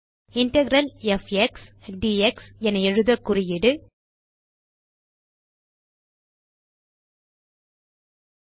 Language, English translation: Tamil, To write Integral f x d x, the markup is,5